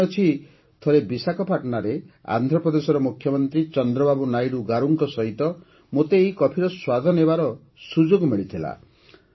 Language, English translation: Odia, I remember once I got a chance to taste this coffee in Visakhapatnam with the Chief Minister of Andhra Pradesh Chandrababu Naidu Garu